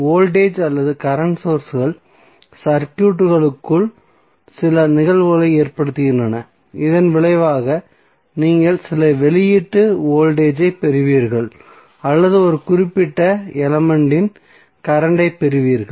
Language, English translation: Tamil, So voltage or current sources is causing some phenomena inside the circuit and as a result that is effect you will get some output voltage or current a particular element